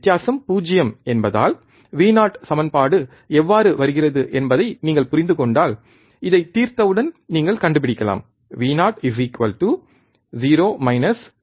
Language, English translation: Tamil, Since, the difference is 0, the Vo if you if you really go on understanding how the equation comes into picture, if you find out that once you solve this you can find Vo equals to 0 minus V 1 by R 1 into R 2